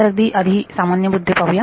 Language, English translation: Marathi, So, a few very general points first